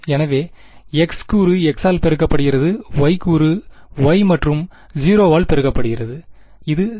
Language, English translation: Tamil, So, the x component multiplies by the x, the y component multiplies by the y and the 0 is 0